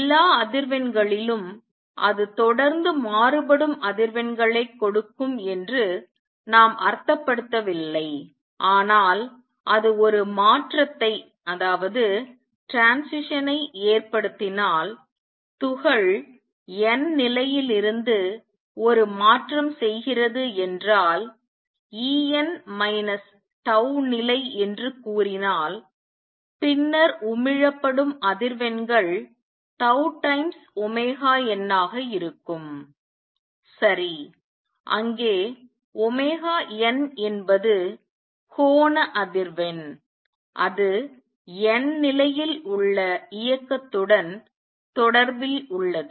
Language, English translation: Tamil, By all frequency, we do not mean that it will give out frequencies which are continuously varying, but if it makes a transition; if the particle makes a transition from nth level to say E n minus tau level, then the frequencies emitted would be tau times omega n; right where omega n is the angular frequency related to motion in the nth level